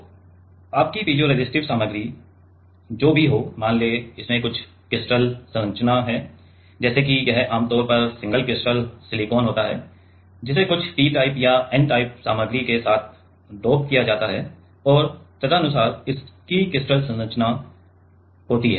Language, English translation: Hindi, So, whatever is your piezoresistive material let us say it has some crystal structure like it is usually single crystal silicon doped with some p type or n type material and accordingly it has a crystal structure